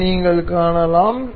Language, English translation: Tamil, You can see this